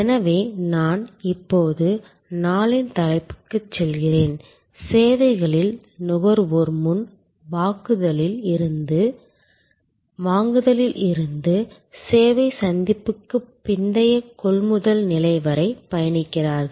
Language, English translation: Tamil, So, let me now go to the topic of day, the consumer in the services flow traveling from the pre purchase to the service encounter to the post purchase stage